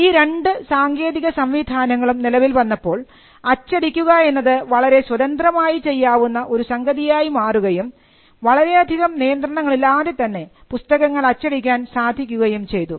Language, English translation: Malayalam, Now when these two technologies came into being printing began to be practiced very freely and it lead to creation of works which without any control